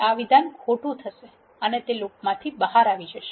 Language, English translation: Gujarati, This statement is false and it will come out of the loop